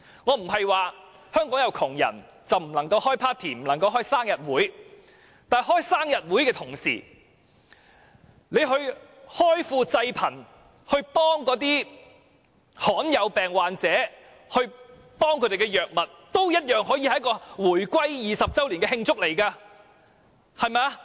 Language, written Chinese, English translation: Cantonese, 我不是說香港有窮人便不能開 party 或生日會，但與此同時，政府開庫濟貧，幫助罕見病患者獲得所需藥物，同樣也可以是慶祝回歸20周年的活動，不是嗎？, I am not saying that we should not hold any party or birthday celebration in Hong Kong when there are poor people . But the use of Treasury money for helping the poor and providing rare disease patients with the drugs they need can also serve as events celebrating the 20 anniversary of the establishment of HKSAR right?